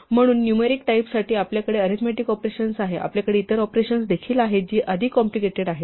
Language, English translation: Marathi, So, for the numeric types, we have arithmetic operations, we also have other operations which are more complicated